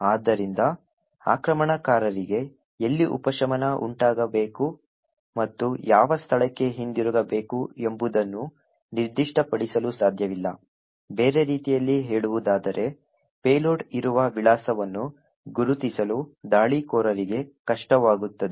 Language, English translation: Kannada, Therefore, the attacker would not be able to specify where the subversion should occur and to which location should the return be present, on other words the attacker will find it difficult to actually identify the address at which the payload would be present